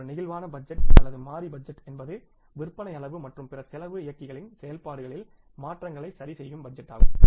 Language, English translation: Tamil, A flexible budget or variable budget is a budget that adjusts for changes in sales volume and other cost driver's activities